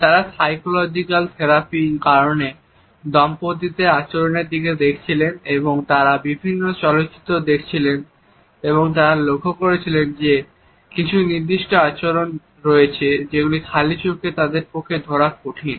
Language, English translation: Bengali, They were looking at the behavior of couples who were undergoing psychological therapy and they were watching different films and they noted that there are certain behaviors which would flash so quickly that it was difficult to grasp them by naked eye